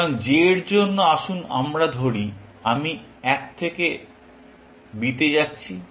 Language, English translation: Bengali, So, for j, let us say i going from one to b